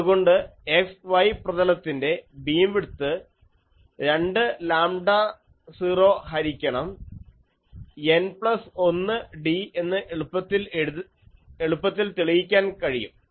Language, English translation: Malayalam, So, it can be easily shown that bandwidth a beam width in the xy plane is given by 2 lambda 0 by N plus 1 d